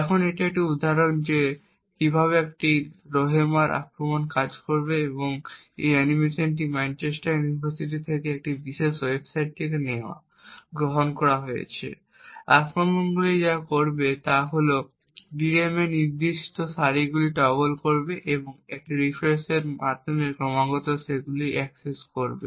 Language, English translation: Bengali, Now this is an example of how a Rowhammer attack would work and this animation is taken from this particular website from Manchester University, what the attacker would do is that he would toggle specific rows in the DRAM and access them continuously within a refresh period